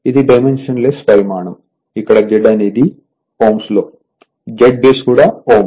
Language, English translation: Telugu, It is dimensionless quantity, where this Z in ohm this Z base is also ohm